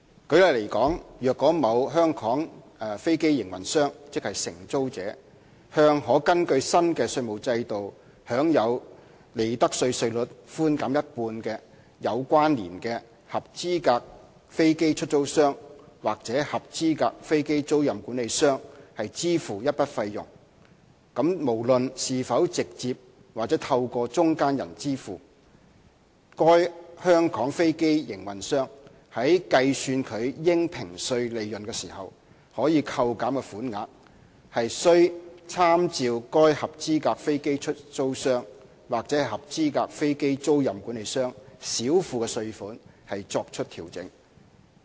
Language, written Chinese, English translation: Cantonese, 舉例來說，若某香港飛機營運商，即承租者向可根據新的稅務制度享有利得稅稅率寬減一半的有關連合資格飛機出租商，或合資格飛機租賃管理商，支付一筆費用，無論是否直接或透過中間人支付，該香港飛機營運商在計算其應評稅利潤時，可以扣減的款額，需參照該合資格飛機出租商或合資格飛機租賃管理商少付的稅款作出調整。, For instance if a Hong Kong aircraft operator the lessee makes a payment to a qualifying aircraft lessor or qualifying aircraft leasing manager who is entitled to enjoy the 50 % concession of the prevailing profits tax rate under the new tax regime whether directly or through an interposed person then when the Hong Kong aircraft operator is computing the amount of deduction of its assessable profits adjustment should be made with reference to the qualifying aircraft lessors or qualifying aircraft leasing managers underpayment of tax